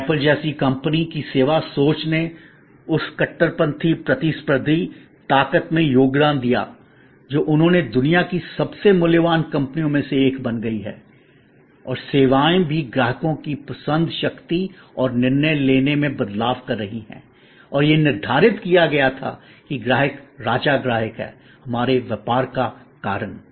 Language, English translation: Hindi, And service thinking of a company like apple contributed to that radical competitive strength they have created becoming the one of the most valuable companies of the world and services are also changing customer's choices power and decision making and earlier it was set customer is the king customer is the reason for our business